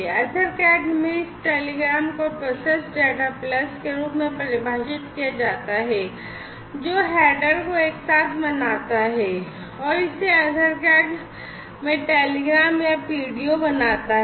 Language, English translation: Hindi, Now, in EtherCAT this telegram is defined in this manner, telegram is the processed data plus the header, together it forms the telegram or the PDO in EtherCAT